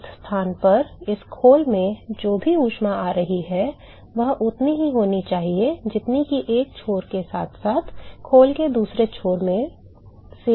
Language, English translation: Hindi, Whatever heat that is coming into this shell at this location, should be equal to what leaves plus whatever is leaving from the other end of the shell right